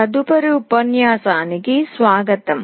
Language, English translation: Telugu, Welcome to the next lecture